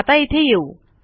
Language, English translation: Marathi, Come back here